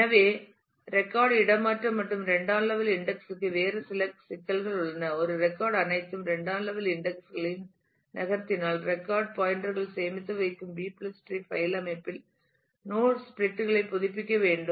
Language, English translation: Tamil, So, there is a couple of other issues the record relocation and secondary index, if a record moves all secondary indices that store record pointers will also have to be updated node splits in B + tree file organization is very expensive